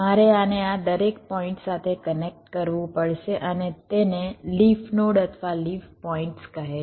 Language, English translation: Gujarati, ok, i have to connect this to each of these points and these are called leaf net, leaf nodes or leaf points